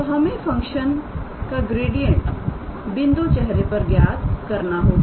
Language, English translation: Hindi, So, we have to calculate the gradient of the function at the point face